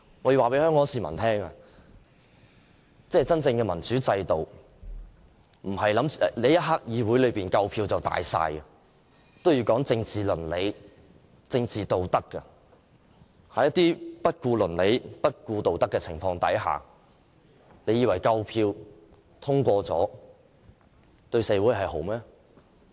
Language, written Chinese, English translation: Cantonese, 我要告訴香港市民，真正的民主制度不是在議會裏有足夠票數便算，也要有政治倫理、政治道德，在不顧倫理、不顧道德的情況下，你們以為有足夠票通過便是對社會好嗎？, I should tell Hong Kong people that having enough votes in the Council is not all that matters in a true democracy . There must also be political ethics and political integrity . Without ethics and integrity do you think they will do any good to society simply by strength of the enough votes?